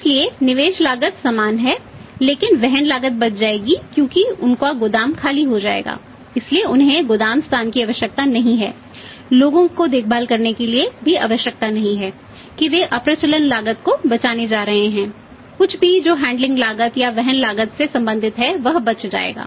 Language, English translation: Hindi, So, that investment cost is same but the carrying cost will be saved because their warehouse will be vacated so they are not required the warehouse space did not record the people to take care of that they are going to save the obsolesce cost anything which is related to the handling cost for carrying cost that will be saved